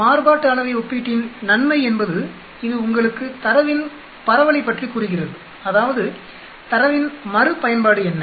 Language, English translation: Tamil, The advantage of these variance comparison is it tells you about the spread of the data, that means what are the repeatability of the data